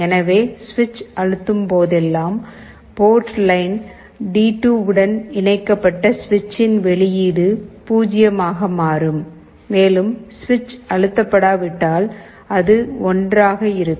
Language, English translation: Tamil, So, whenever switch is pressed the switch output, which is connected to port line D2, will become 0, and if the switch is not pressed, it will be 1